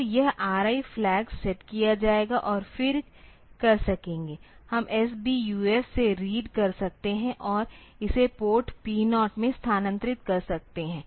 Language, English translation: Hindi, So, this R I flag will be set and then will be able to do, we can read the from S BUF and transfer it to port P 0